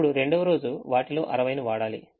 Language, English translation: Telugu, now the second day: use sixty of them